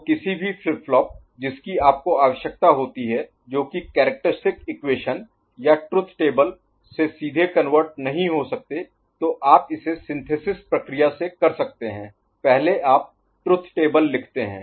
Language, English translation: Hindi, So, any flip flop that you require which is from the characteristic equation or truth table, you can, you know directly cannot convert ok, you can go through this synthesis process, first you write the truth table